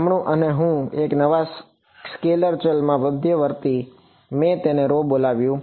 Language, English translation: Gujarati, Right and I intermediate into a new scalar variable, I called it rho